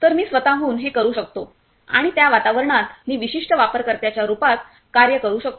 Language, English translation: Marathi, So, I can do by myself and I will act as a particular user inside that environment